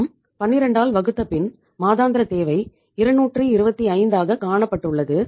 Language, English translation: Tamil, When we divided it by 12 so monthly requirement worked out as 225